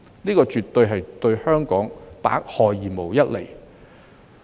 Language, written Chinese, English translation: Cantonese, 這對香港絕對是百害而無一利。, This will absolutely bring damage but not benefit to Hong Kong